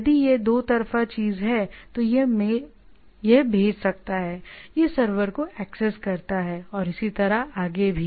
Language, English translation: Hindi, If it is a 2 way thing, then it can send and it access the server and so and so forth